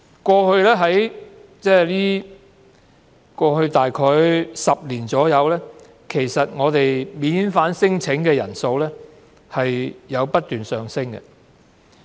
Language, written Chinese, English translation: Cantonese, 過去約10年間，在香港提出免遣返聲請的人數不斷上升。, Over the past 10 years or so the number of people making non - refoulement claims in Hong Kong has kept increasing